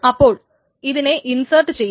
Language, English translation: Malayalam, So this is being inserted